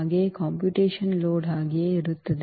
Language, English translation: Kannada, Also the computational load will remain the same